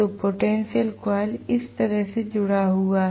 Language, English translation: Hindi, So, the potential coil is connected like this